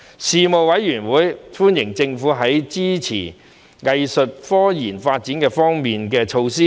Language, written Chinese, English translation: Cantonese, 事務委員會歡迎政府在支持"藝術科技"發展方面的措施。, The Panel welcomed the Governments measures to support the development of arts tech